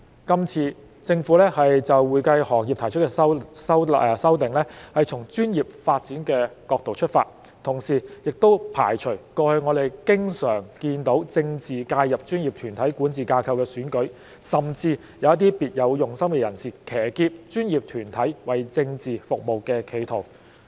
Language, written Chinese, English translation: Cantonese, 今次政府就會計行業提出的修訂，是從專業發展的角度出發，同時也排除了過去我們經常看到政治介入專業團體管治架構的選舉，甚至有一些別有用心的人，騎劫專業團體為政治服務的企圖。, The amendments proposed by the Government in respect of the accounting profession are introduced from the perspective of professional development . At the same time they have also precluded the political interference in elections of the governance structure of professional bodies that we have often seen in the past and even the attempts of some people with ulterior motives to hijack the professional bodies to serve their political end